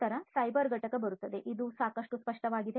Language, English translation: Kannada, Then comes the cyber component and this is quite obvious